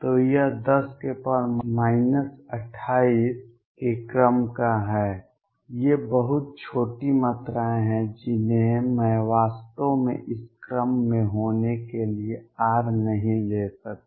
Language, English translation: Hindi, So, that is of the order of 10 raise to minus 28, these are very small quantities I cannot really take r to be in this order